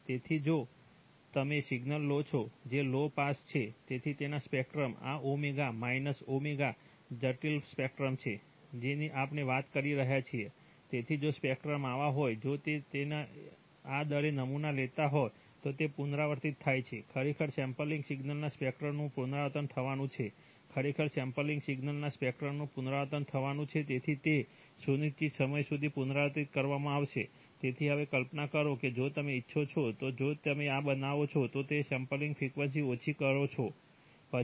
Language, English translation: Gujarati, So if you, if you take a signal which is, which is low pass, so its spectrum, this is omega, minus omega, complex spectrum we are talking about, so if a spectrum is like this then and if you are sampling it at this rate then it gets repeated, actually the spectrum of the sampled signal is going to be repeated, so it will be repeated repeating indefinitely, okay